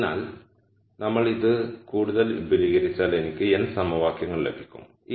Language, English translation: Malayalam, So, if we expand this further I am going to get n equations